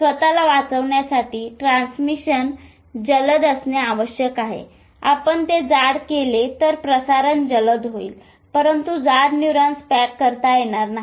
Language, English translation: Marathi, Either you make the, if you make it thick the transmission will be faster, but thicker neurons will not pack